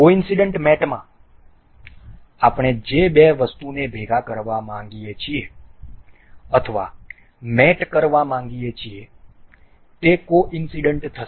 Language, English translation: Gujarati, In coincident mate the two things that we we want to assemble or mate will coincide